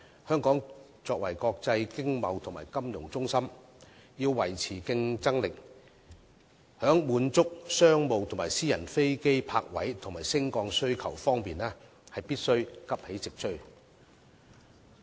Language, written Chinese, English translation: Cantonese, 香港作為國際經貿及金融中心，要維持競爭力，在滿足商務和私人飛機泊位及升降需求方面，必須急起直追。, As an international business and financial centre Hong Kong must remain competitive and immediately catch up to meet the demand for stands and runway slots for general aviation and business aviation flights